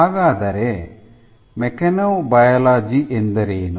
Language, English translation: Kannada, So, what is mechanobiology